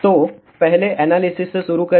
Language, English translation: Hindi, So, first start with the analysis